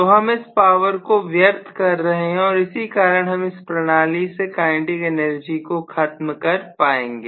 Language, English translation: Hindi, So I would be able to dissipate this power and because of which the kinetic energy will get depleted eventually